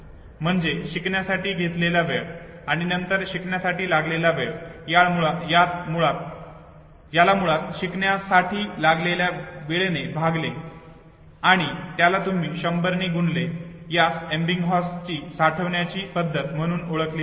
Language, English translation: Marathi, So time taken originally and time taken in the next attempt divided by the time taken in the original learning and you multiplied by hundreds and he said this is what is called as Ebbinghaus saving method